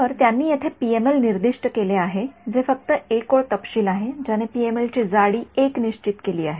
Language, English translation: Marathi, So, they have specified here PML this is just one line specification set a PML of thickness 1